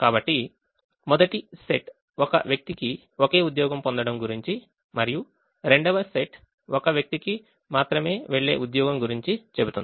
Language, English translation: Telugu, so first set is about a person getting only one job and the second set is about a job going to only one person